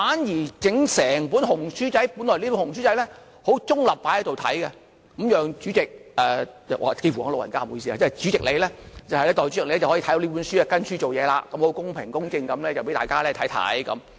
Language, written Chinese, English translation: Cantonese, 然而，整本"紅書仔"——本來這本"紅書仔"是很中立放在這裏，讓代理主席，幾乎說了你老人家，不好意思，主席你，代理主席你可以翻閱這本書，按着這本書去辦事，公平公正地讓大家看到。, However the little red book―originally this little red book is put in its place disinterestedly so as to let the Deputy President I have almost mistakenly addressed you as the President―the President and the Deputy President to leaf through this book to deal with businesses by the book and to show to everyone that it is fair and equitable